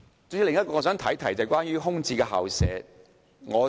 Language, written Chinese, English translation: Cantonese, 主席，另一個問題與空置校舍有關。, President another issue is related to vacant school premises